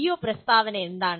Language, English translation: Malayalam, What is the PO statement